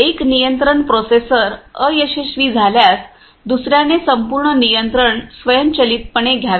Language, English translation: Marathi, So, in case of one control processor fails the another one take the whole controls automatically